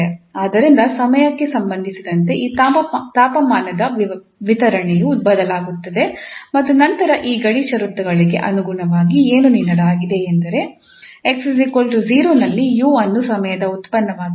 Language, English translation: Kannada, So with respect to time the distribution of this temperature will change and then according to these boundary conditions, what is given that at x equal to 0 we have, the u is given as the function of time and x equal to b, u is prescribed as constant value